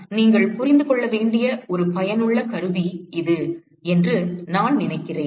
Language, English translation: Tamil, But I think it is just for it is a useful tool as what you must understand